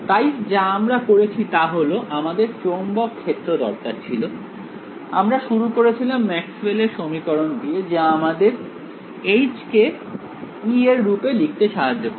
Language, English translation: Bengali, So, all we did was we wanted the magnetic field, we started with the Maxwell’s equations, which allowed us to express H in terms of E